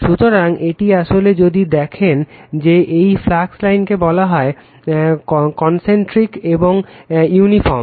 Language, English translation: Bengali, So, this is actually if you look into that, this flux line is you are called your concentric right and uniform